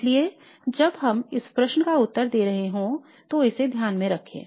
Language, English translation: Hindi, So keep this in mind while we are looking at this answer